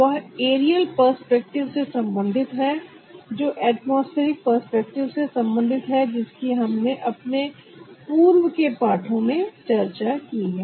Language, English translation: Hindi, a request that is related to the aerial perspective, that is related to the atmospheric perspective that we have discussed in our earlier chapters